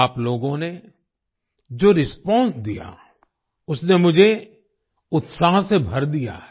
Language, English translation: Hindi, The response you people have given has filled me with enthusiasm